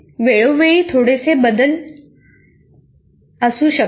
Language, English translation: Marathi, This may keep changing slightly from time to time